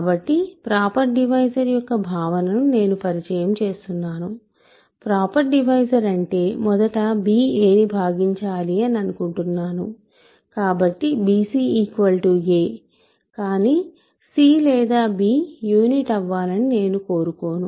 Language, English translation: Telugu, So, I am introducing the notion of a proper divisor, what do I mean by a proper divisor, I first of all want b to divide it so, b c is equal to a, but I do not want c or b to be unit, recall